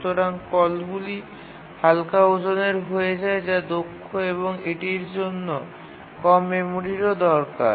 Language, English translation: Bengali, Therefore, the calls become lightweight that is efficient and require also less memory